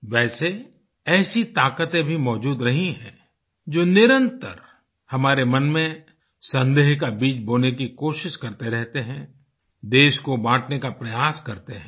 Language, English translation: Hindi, Although, there have also been forces which continuously try to sow the seeds of suspicion in our minds, and try to divide the country